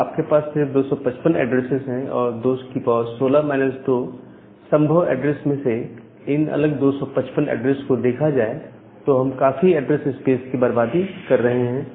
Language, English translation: Hindi, So, you are using only 255 address, in 255 different addresses out of possible 2 the power 16 minus 2 addresses, so that is you are losing or you are wasting a huge address space